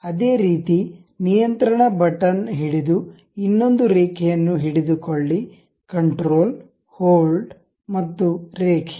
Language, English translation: Kannada, Similarly, click the other line by keeping control button, control hold and line